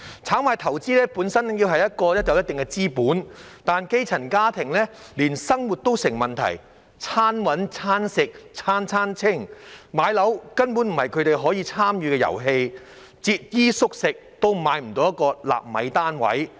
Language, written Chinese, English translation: Cantonese, 炒賣投資本身要有一定資本，但基層家庭連生活都成問題，"餐搵、餐食、餐餐清"，買樓根本不是他們可以參與的遊戲，節衣縮食也買不到一個納米單位。, A certain amount of capital is needed for speculation or investment but for the grass - roots families who find it difficult even to make ends meet and live a normal life home ownership is not a game they can participate in at all because even if they scrimp and save they cannot afford a nano flat